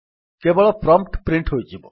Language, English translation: Odia, Only the prompt will be printed